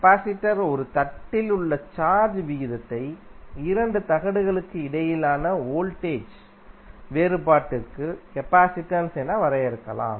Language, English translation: Tamil, Capacitance can be defined as the ratio of charge on 1 plate of the capacitor to the voltage difference between the 2 plates